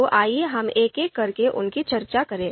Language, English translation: Hindi, So let’s discuss them one by one